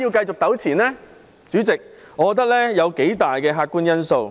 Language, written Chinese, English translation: Cantonese, 主席，我認為有數大客觀因素。, President I think we can consider some objective factors